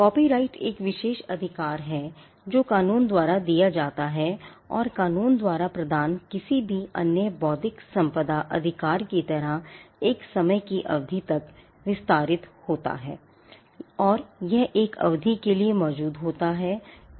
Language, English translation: Hindi, The copyright is an exclusive right which is given by the law which extends to a period of time, like any other intellectual property right that is granted by the law and it exist for a period of time